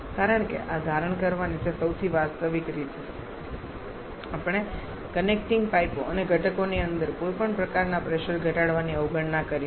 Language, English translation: Gujarati, Because that is the most realistic way of assuming this, we have neglected any kind of pressure drop in connecting pipes and also inside the components